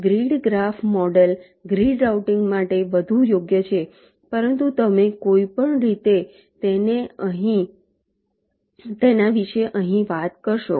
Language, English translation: Gujarati, the grid graph model is more suitable for grid routing, but you shall anyway talk about it here